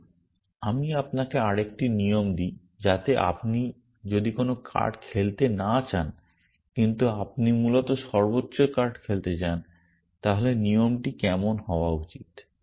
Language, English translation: Bengali, So, let me give you another rule just to so if you want to not play any card, but you want to play the highest card essentially then what should the rule look like